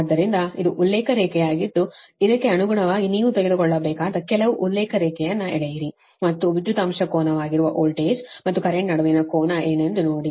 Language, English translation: Kannada, accordingly, you draw some reference line you have to take and see what is the angle between voltage and current, that is, power factor angle